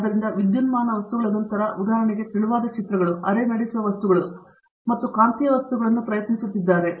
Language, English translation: Kannada, So, after electronic materials, for example, thin films, semi conducting materials and magnetic materials